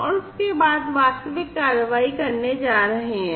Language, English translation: Hindi, And thereafter, the actual actions are going to be taken